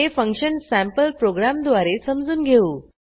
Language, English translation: Marathi, Let us understand this function using a sample program